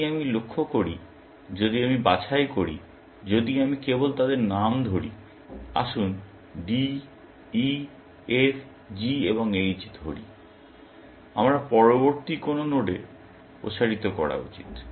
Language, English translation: Bengali, If I note, if I pick up, if I just name them, let us say D, E, F, G and H; what is the next node I should expand